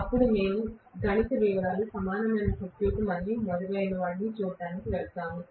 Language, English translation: Telugu, Then we will go into the mathematical details, equivalent circuit and so on and so forth right